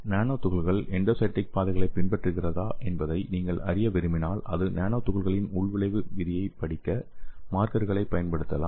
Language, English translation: Tamil, So if you want to study whether your nanoparticle is following endocytic pathways, so we can use the markers to study the intracellular fate of this nanoparticles